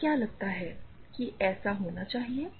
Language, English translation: Hindi, What you think it should happen